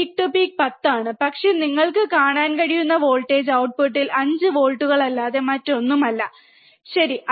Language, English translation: Malayalam, See peak to peak is 10, but the voltage that you can see at the output is nothing but 5 volts, alright